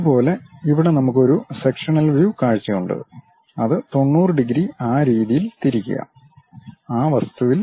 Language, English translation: Malayalam, Similarly, here we have a sectional view, rotate it by 90 degrees in that way and represent it on that object